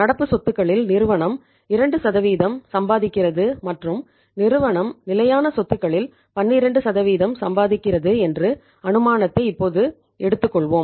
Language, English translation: Tamil, Now let us take this assumption that company earns 2% on the current assets and company earns 12% on the fixed assets right